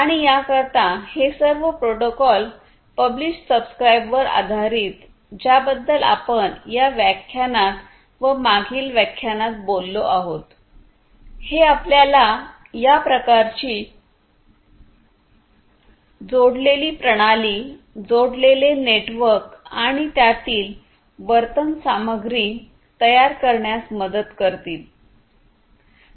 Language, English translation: Marathi, And for this, all these protocols these publish, subscribe based protocols that we have talked about in this lecture and the previous one these will help you to build this kind of connected system, connected network, and the behaviors content within it